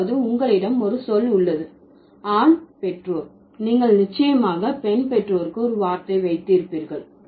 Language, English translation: Tamil, That means you have a word for the male parent, then you would surely have a word for the female parent